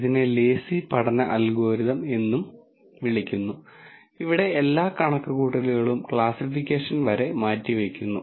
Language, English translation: Malayalam, It is also called a lazy learning algorithm, where all the computation is deferred until classification